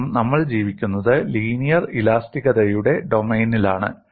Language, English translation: Malayalam, You could add them, because we are living in the domain of linear elasticity